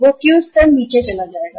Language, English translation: Hindi, That Q level will go down